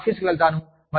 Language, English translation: Telugu, If, i go to the office